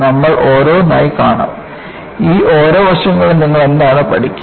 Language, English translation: Malayalam, And, we would see one after another, what you will learn in each of these aspects